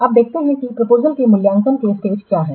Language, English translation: Hindi, Now let's see what are the steps of the evaluation of the proposals